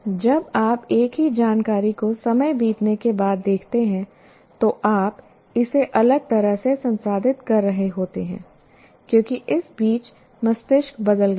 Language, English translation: Hindi, So when you look at some, same information, let us say, after some time, after a lapse of time, you are processing it differently because meanwhile the brain has changed